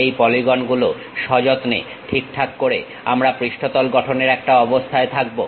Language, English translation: Bengali, By carefully adjusting these polygons, we will be in a position to construct surface